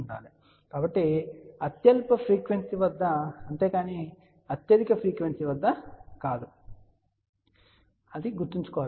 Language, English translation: Telugu, So, remember it is at the lowest frequency not at the highest frequency